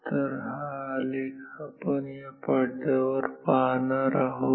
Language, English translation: Marathi, So, this is the plot that we shall see on this screen ok